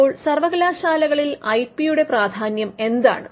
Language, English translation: Malayalam, Now, what is the importance of IP for universities